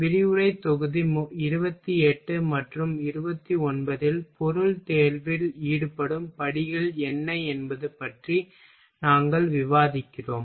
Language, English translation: Tamil, in lecture module 28 and 29 we are discussing about what are the steps involved in a material selection